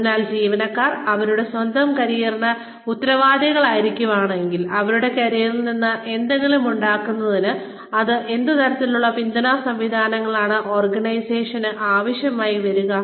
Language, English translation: Malayalam, So, if employees are going to be responsible for their own careers, then, what kind of support systems, will the organization need, to provide to them, in order for them, to make something out of their careers